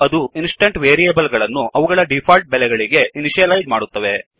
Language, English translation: Kannada, It initializes the instance variables to their default value